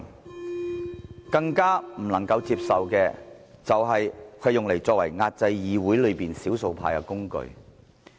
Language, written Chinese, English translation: Cantonese, 我們更不能接受的，就是將它變為壓制議會內少數派的工具。, It is even more unacceptable that they turn the RoP into a tool to suppress the minorities in the Council